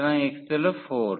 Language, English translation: Bengali, So, x is 4